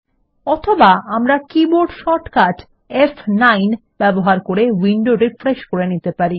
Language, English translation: Bengali, Or we can use the keyboard shortcut F9 to refresh the window